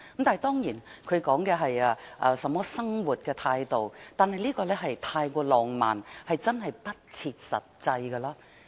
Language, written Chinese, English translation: Cantonese, 當然，他說的是生活態度，但的確太過浪漫，不切實際。, I of course understand that he was referring to lifestyle but his definition is indeed too romantic and unrealistic